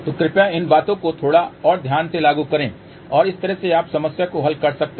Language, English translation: Hindi, So, please apply these things little bit more carefully and that way you can solve the problem